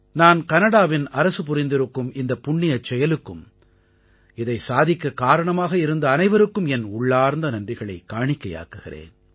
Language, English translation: Tamil, I express my gratitude to the Government of Canada and to all those for this large heartedness who made this propitious deed possible